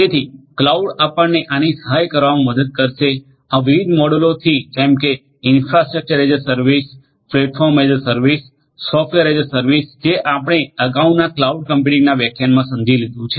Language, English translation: Gujarati, So, cloud will help you with the help of it is different models such as the infrastructure as a service, platform in service and software as a service that we have understood in the cloud computing lecture earlier